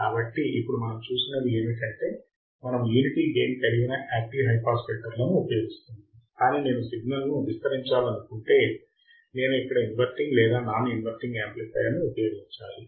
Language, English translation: Telugu, So, what we have seen now is that we are using active high pass filter with unity gain amplifier, but what if I want to amplify the signal then I need to use the inverting or non inverting amplifier here